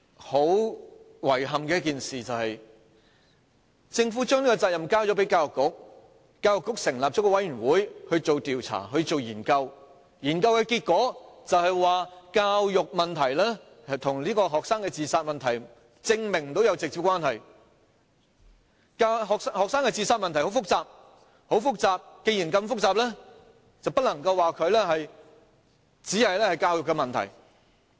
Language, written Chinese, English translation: Cantonese, 很遺憾的是，政府將這責任交給教育局，教育局成立了一個委員會進行調查和研究，研究結果是，無法證明教育問題與學生的自殺問題有直接關係，學生的自殺問題很複雜，既然這麼複雜，便不能說這只是教育問題。, Regrettably the Government passed this responsibility to the Education Bureau which then set up a committee to conduct an investigation and a study . The conclusion of the study is that there is no proof of any direct relationship between education problems and student suicides . The problem of student suicides is very complicated